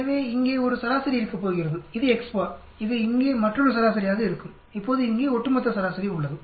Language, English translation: Tamil, So there is going to be a mean here, that is X s bar, this going to be another mean here, now we have the overall mean here